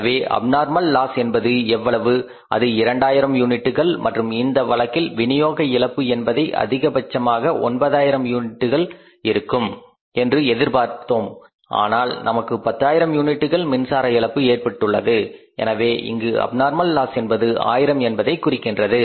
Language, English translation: Tamil, So, abnormal loss is of how much 2,000 units and in this case also we were expecting at the level of distribution the loss of 9,000 but we have a loss of 10,000 so it means abnormal loss is how much 1,000 units